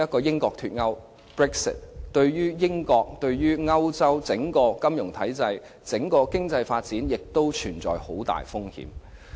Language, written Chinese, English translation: Cantonese, 英國脫歐對英國、以至歐洲的整體金融體制和經濟發展均存在重大風險。, The risk factor also includes the impacts of Brexit on the financial system and economic development of the United Kingdom and even the entire Europe